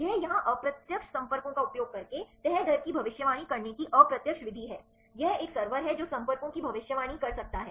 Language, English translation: Hindi, This is the indirect method to predict the folding rate using predicted contacts here, this is a server which can predict the contacts